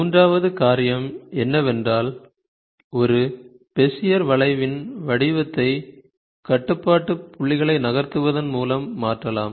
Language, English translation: Tamil, The third thing is, the shape of a Bezier curve, can be changed by moving the control points